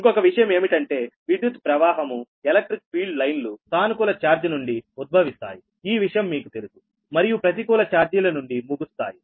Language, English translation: Telugu, another thing is the electric field lines will originate from the positive charge, right, that is, you know, right on the conductor, and terminate on the negative charges